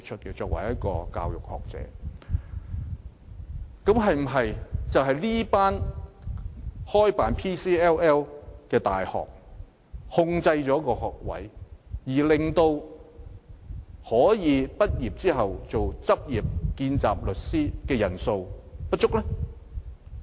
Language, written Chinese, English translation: Cantonese, 現時是否因為這些開辦 PCLL 的大學限制了學位數目，以致可以在畢業後擔任見習律師的人數不足？, Is it because the universities providing PCLL course have limited the number of places that fewer graduates can take up the post of trainee solicitors?